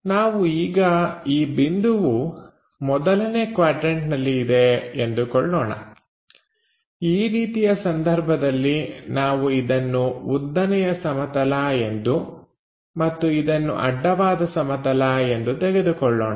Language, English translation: Kannada, So, let us consider this point A is in the first quadrant, if that is the case we will be having let us consider this is the vertical plane and this is the horizontal plane